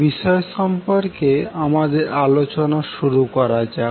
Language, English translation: Bengali, So let us start our discussion about the topic